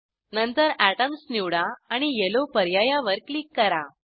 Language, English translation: Marathi, Then select Atoms and click on Yellow options